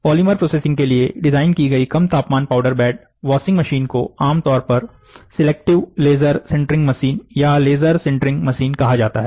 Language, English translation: Hindi, Low temperature powder bed washing machines designed for polymer processing, are commonly called as selective laser sintering machines, or laser sintering machines